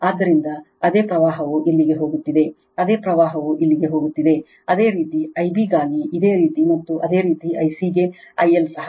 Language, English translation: Kannada, So, same current is going here, same current is going here, similarly for the similarly for I b also and similarly for I c also I L also